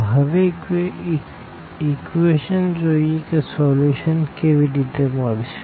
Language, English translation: Gujarati, So, first let us see with the equations how to get the solution now